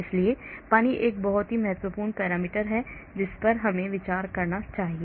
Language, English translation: Hindi, so water is a very important parameter we need to consider